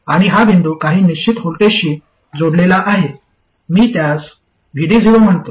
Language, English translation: Marathi, And this point is connected to some fixed voltage, let me call that VD 0